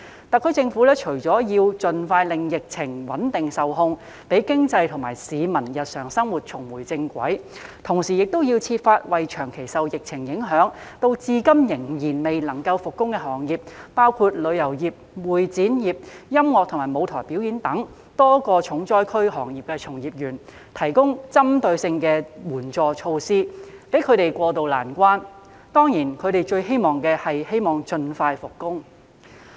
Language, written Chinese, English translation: Cantonese, 特區政府除了要盡快穩定及控制疫情，讓經濟和市民日常生活重回正軌，同時亦要設法為長期受疫情影響，至今仍然未能復工的行業，包括旅遊業、會展業、音樂及舞台表演等多個重災區行業的從業員，提供針對性的援助措施，幫助他們渡過難關，當然他們最希望的還是能夠盡快復工。, Apart from stabilizing and controlling the epidemic as soon as possible to enable the economy and peoples daily lives to resume normal it is also necessary for the SAR Government to make efforts to provide targeted relief measures for the practitioners in those industries which have long been affected by the epidemic and have yet to resume operation including the travel trade the Meetings Incentives Conferences and Exhibitions MICE industry music and stage performance industries etc in order to help them tide over the difficulties and of course what they want most is to be able to resume work as soon as possible